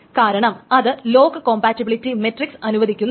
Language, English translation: Malayalam, And then there is a lock compatibility matrix